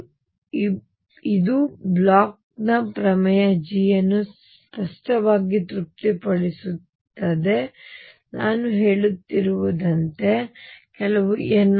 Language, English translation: Kannada, And both satisfy the Bloch’s theorem G obviously, as I we have been saying is some n times 2 pi over a